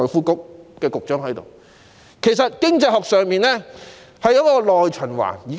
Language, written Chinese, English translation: Cantonese, 經濟學有一種觀點是所謂的"內循環"。, In economics there is a viewpoint known as domestic circulation